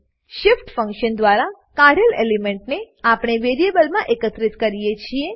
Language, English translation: Gujarati, We can collect the element removed by shift function into some variable